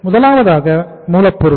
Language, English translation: Tamil, First is raw material